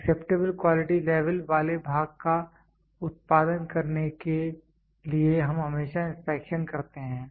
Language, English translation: Hindi, To produce the part having acceptable quality levels we always do inspection